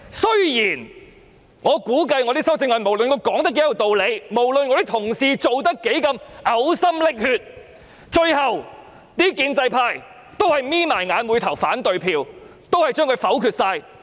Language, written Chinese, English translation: Cantonese, 雖然我估計，就我的修正案，無論我說得多有道理，無論我的同事草擬修正案時如何嘔心瀝血，最後建制派也是閉上眼睛投下反對票，全數否決。, Though I anticipate that as far as my amendments are concerned no matter how reasonable my arguments are and how much painstaking efforts my colleagues have made in drafting them in the end the pro - establishment camp would vote against them with their eyes closed and negative them all